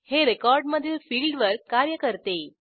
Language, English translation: Marathi, It operates at the field level of a record